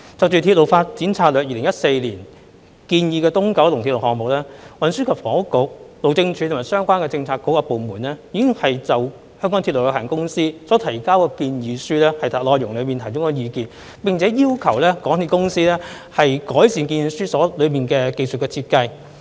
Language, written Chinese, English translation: Cantonese, 關於《鐵路發展策略2014》建議的東九龍鐵路項目，運房局、路政署及相關政策局和部門已就香港鐵路有限公司所提交的建議書內容提供意見，並要求港鐵公司改善建議書中的技術設計。, Regarding the EKL project proposed under the Railway Development Strategy 2014 RDS - 2014 THB the Highways Department and other relevant Policy Bureauxdepartments have commented on the proposal submitted by the MTR Corporation Limited MTRCL and requested MTRCL to improve the technical design as given in the proposal